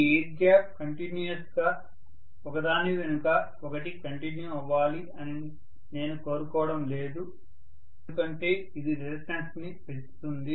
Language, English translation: Telugu, I do not want this air gap to continue one behind the other continuously because that will increase the reluctance